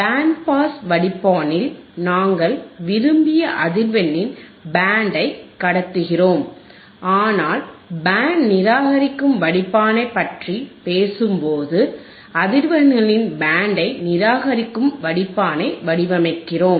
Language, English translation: Tamil, In band pass filter, we are passing the band of frequencies of desired frequencies, but when we talk about band reject filter, then we are designing a filter that will reject the band of frequencies